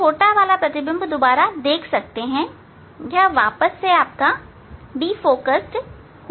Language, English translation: Hindi, you can see smaller one again, going to be defocused